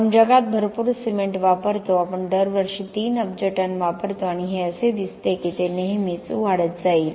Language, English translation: Marathi, We use a lot of cement in the world we use 3 billion tons per year and this looks like it is always going to keep increasing